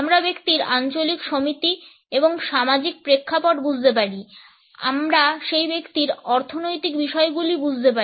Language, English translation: Bengali, We can understand the regional associations and social backgrounds of the person, we can understand the economic affairs of that individual